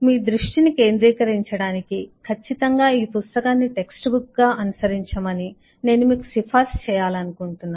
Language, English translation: Telugu, just to keep you focused, and certainly I would like to recommend you to follow this book as a text book